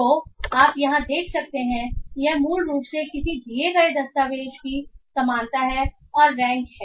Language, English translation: Hindi, So what you find here is basically the similarity of a given document and its rank